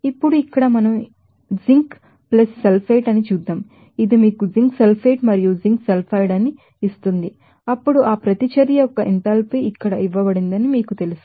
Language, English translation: Telugu, Now, let us do that here first reaction is zinc + sulfate that will give you the zinc sulfate and zinc sulfide then, it fluid up you know enthalpy of that reaction is this given here